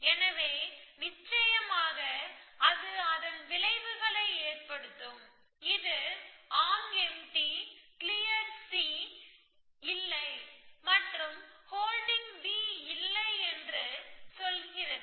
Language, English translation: Tamil, So, of course it will have its effects, it will say arm empty not clear C and not holding B and so on essentially